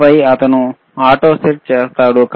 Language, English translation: Telugu, And then he is doing the auto set